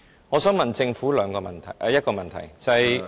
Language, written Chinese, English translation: Cantonese, 我想問政府一個問題。, I would like to ask the Government a question